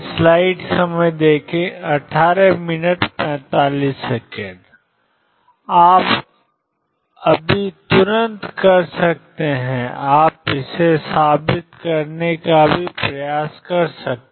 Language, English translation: Hindi, You can just right away you can also try to prove it